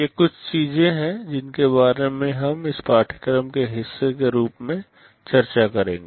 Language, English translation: Hindi, These are a few things that we shall be discussing as part of this course